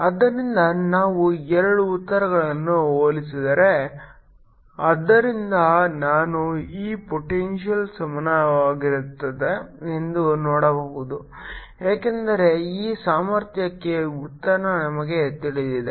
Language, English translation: Kannada, so if we compare ah, d, ah, the two answer, so i can see this potential is equal to, because we know the answer for this potential